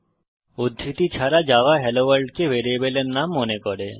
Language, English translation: Bengali, Without the quotes, Java thinks that HelloWorld is the name of a variable